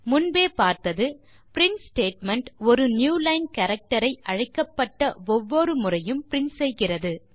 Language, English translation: Tamil, We have seen that print statement prints a new line character every time it is called